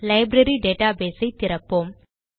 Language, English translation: Tamil, Lets open the Library database